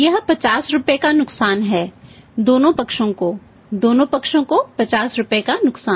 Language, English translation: Hindi, This is a loss of 50 rupees to whom to both the sides rupees 50 both the sides